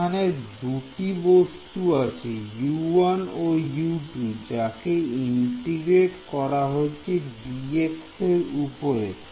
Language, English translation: Bengali, There is a U 1 and a U 2 there right an integrated over dx